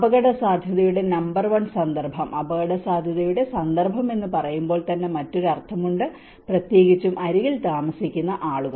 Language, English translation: Malayalam, Number one context of risk, when we say context of risk itself has a different meaning especially the people living on the edge